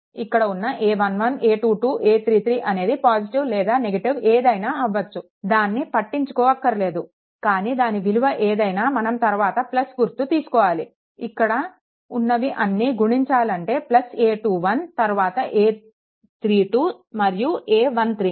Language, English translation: Telugu, This a 1 1, a 2 2, a 3 3 may be negative positive, it does not matter, but whatever it is you have to take plus sign then this this one, that is all this things I have taken then plus your plus your a 2 1, then a 3 2 happen then a 1 3, right